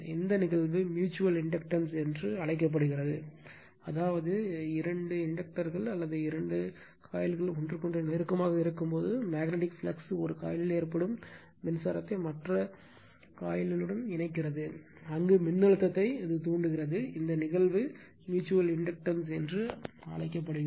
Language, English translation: Tamil, And this phenomenon is known as mutual inductance, that means, when two inductors or two coils are there in a close proximity to each other, the magnetic flux caused by current in one coil links with the other coil, thereby inducing voltage in the latter; this phenomenon is known as mutual inductance right